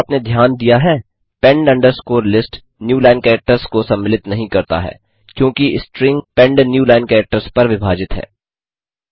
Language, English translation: Hindi, If you noticed, pend underscore list did not contain the newline characters, because the string pend was split on the newline characters